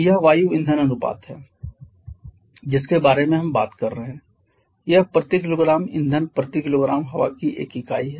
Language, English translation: Hindi, 2 kg of air per kg of fuel this is the air fuel ratio that we are talking about it is a unit of kg of air per kg of fuel so you know you can say that it is dimensionless